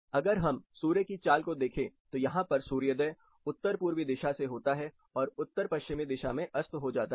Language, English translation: Hindi, If you look at the sun movement, it has you know the sun rise happens somewhere close to north east and sets somewhere close to north west